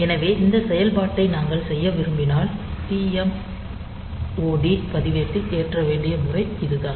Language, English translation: Tamil, So, this is the pattern that we have to load in the TMOD register, if we want to do this operation